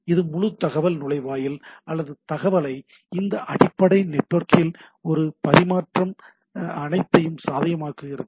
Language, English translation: Tamil, So, this makes that whole information gateway or information all this exchange possible over this underlying network, so that is the one thing